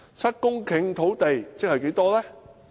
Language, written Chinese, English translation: Cantonese, 七公頃土地即是多少呢？, How large is 7 hectares of land?